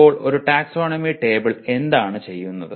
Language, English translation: Malayalam, So what does a taxonomy table do